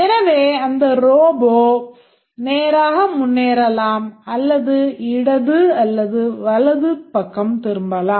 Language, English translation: Tamil, So, it may be proceeding straight or it may be turning to left or right